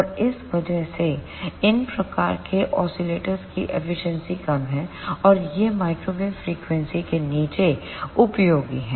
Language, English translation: Hindi, And because of this the efficiency of these type of oscillators is low and these are useful below microwave frequency